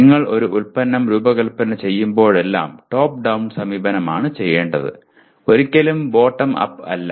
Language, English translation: Malayalam, That is whenever you design a product you should do top down approach not bottoms up